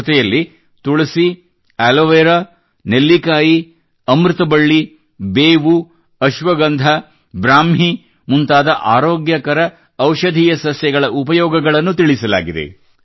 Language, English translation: Kannada, Along with this, the usefulness of healthy medicinal plants like Aloe Vera, Tulsi, Amla, Giloy, Neem, Ashwagandha and Brahmi has been mentioned